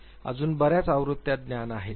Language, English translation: Marathi, There are many more versions are known